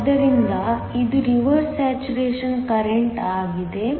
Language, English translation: Kannada, So, this is the reverse saturation current